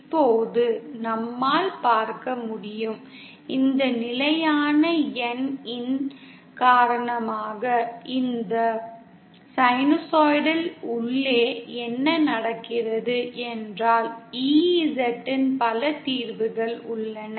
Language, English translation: Tamil, Now as we can see, because of this constant n that appears inside this sinusoidal term what happens is that there are many solutions of EZ